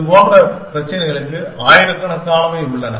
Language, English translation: Tamil, And such problems have something like thousands of